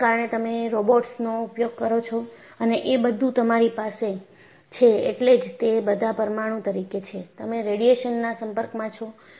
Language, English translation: Gujarati, That is why you have robots are used and you have, because it is all nuclear, you have exposure to radiation